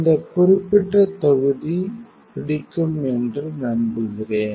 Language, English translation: Tamil, So, I hope that you like this particular module